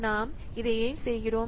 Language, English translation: Tamil, So because why we are doing this